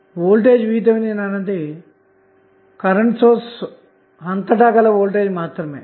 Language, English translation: Telugu, So, voltage Vth would be across the current source